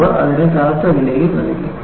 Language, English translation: Malayalam, They also paid a heavy price for it